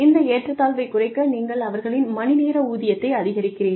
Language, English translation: Tamil, To reduce this disparity, you increase their hourly wage